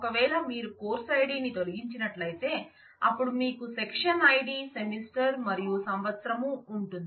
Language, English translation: Telugu, If you remove the course id then you have section id semester and year